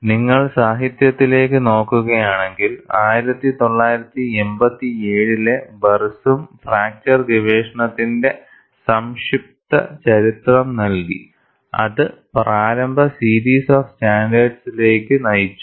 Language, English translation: Malayalam, And if you look at the literature, Barsoum, in 1987 has provided a succinct history of the fracture research, that led to the initial series of standards